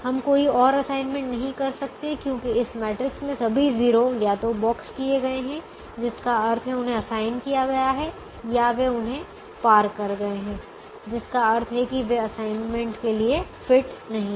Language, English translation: Hindi, we can't make any more assignment because all the zeros in this matrix have either been box, which means have they, they have been assigned, or they are